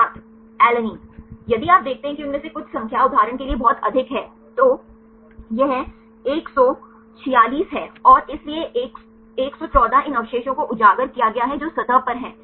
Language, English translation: Hindi, Alanine If you see the numbers some of them are very high for example, here this is 146 and so, 114 these residues are exposed they are at the surface